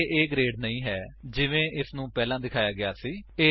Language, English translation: Punjabi, It is not A grade as it displayed before